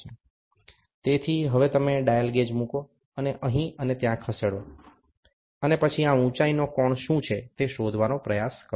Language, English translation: Gujarati, So, now you will put a dial gauge move it here and there, and then try to figure out what is this height angle